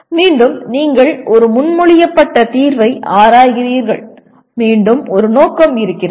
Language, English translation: Tamil, Again, you are examining a proposed solution for again there is a purpose